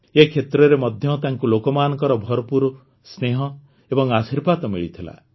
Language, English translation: Odia, There too, he got lots of love and blessings from the people